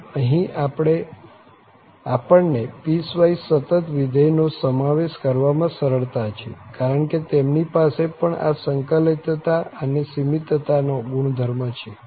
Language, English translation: Gujarati, So, this is where we relaxed to include the piecewise continuous functions as well because they also have this property of integrability and the boundedness